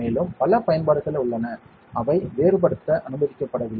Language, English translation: Tamil, And there are a lot of applications which we are not allowed to diverge